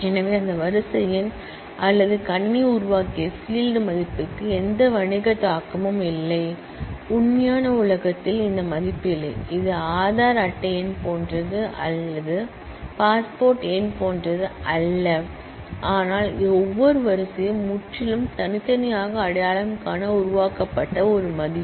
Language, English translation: Tamil, So, that serial number or that computer generated field value has no business implication, the real world did not have this value, it is not like a Aadhaar card number or like a passport number, but it is a value which is purely generated to identify every row uniquely